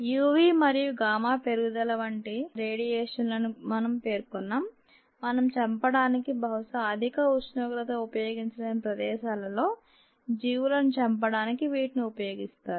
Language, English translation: Telugu, radiation, such as u, v and gamma rises we mentioned, are used to treat ah or used to kill the organisms in um places where we probably cannot use high temperature to kill or chemicals to kill